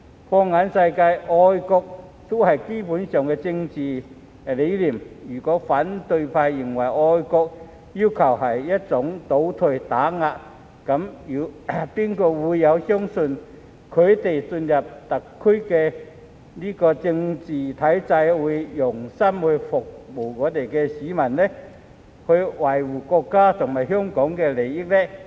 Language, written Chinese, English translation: Cantonese, 放眼世界，愛國也是基本的政治理念，如果反對派認為愛國要求是一種"倒退"和"打壓"，那還有誰會相信他們進入特區政治體制後會用心服務市民、維護國家和香港利益？, Throughout the world patriotism is a fundamental political concept . If the opposition camp considers the requirement for patriotism a kind of regression and suppression then who else will believe that they will wholeheartedly serve the people and protect the interests of the country and Hong Kong after entering the political system of SAR?